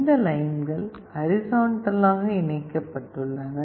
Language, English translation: Tamil, These lines are horizontally connected